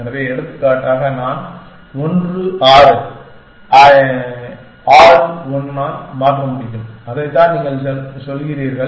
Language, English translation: Tamil, So, for example, I can replace 1 6 by 6 1, that is what you have saying